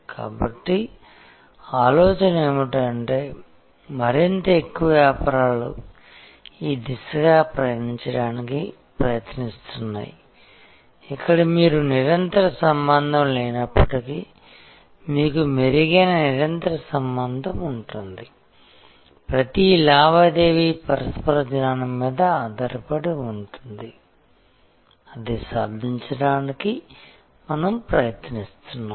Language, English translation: Telugu, So, the idea therefore, is that more and more businesses are trying to move in this direction, where you have better a continuous relationship at least if there is no continuous relationship, each transaction is based on mutual knowledge that is what we are trying to achieve